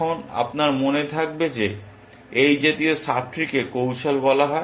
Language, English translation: Bengali, Now, you will remember that, such a sub tree is called a strategy